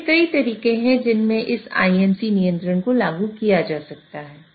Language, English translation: Hindi, There are multiple ways in which this IMC control can be implemented